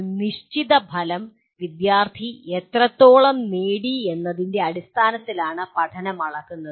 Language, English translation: Malayalam, And learning is measured in terms of to what extent a specified outcome has been attained by the student